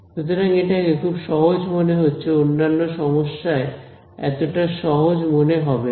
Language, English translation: Bengali, So, this turned out to be really simple in other problems it will not be so simple